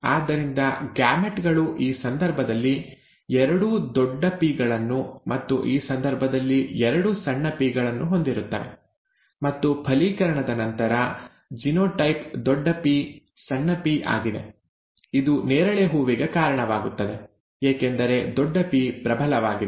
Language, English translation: Kannada, So the gametes would have both capital P, in this case, and both small ps in this case; and upon fertilization, the genotype is capital P small p, which are, which results in a purple flower because capital P is dominant, right